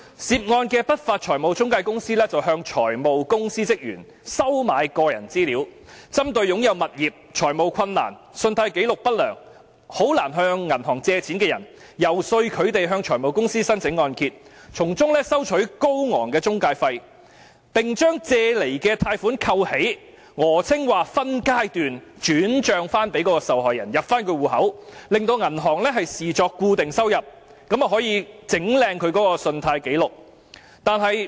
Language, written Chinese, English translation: Cantonese, 涉案的不法財務中介公司向財務公司職員收買個人資料，針對擁有物業、財務困難、信貸紀錄不良和難以向銀行借貸的人，遊說他們向財務公司申請按揭，從中收取高昂的中介費，並將借來的貸款扣起，訛稱會分階段轉帳到受害人的戶口，令銀行把該筆金錢視作固定收入，這樣便可以"整靚"其信貸紀錄。, The unscrupulous financial intermediaries concerned paid staff members of finance companies for personal data targeted at those property owners in financial distress whose adverse credit records made it difficult for them to secure bank loans and then persuaded them to apply for mortgages from finance companies . They would then charge exorbitant intermediary fees and withhold the loan amount obtained claiming that money would be transferred to the victims accounts in phases so that the banks would consider it as regular income . In this way their credit records will become presentable